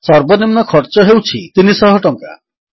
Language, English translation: Odia, The minimum cost is rupees 300